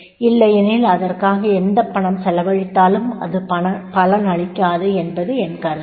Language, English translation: Tamil, Otherwise, whatever money is spent on that, then that will not be fruitful